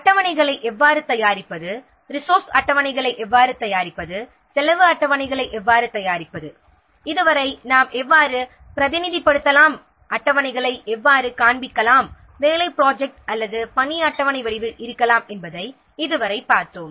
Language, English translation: Tamil, far we have seen how to prepare schedules prepare resource schedules how to prepare cost schedules etc how can represent how can display the schedules may be in the form of a work plan or work schedule